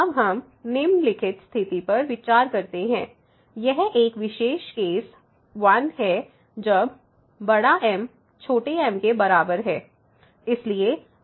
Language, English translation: Hindi, So, now we consider the following situation a particular situation the case I when =m